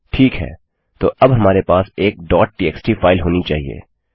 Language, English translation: Hindi, Ok, so now we should have a .txt file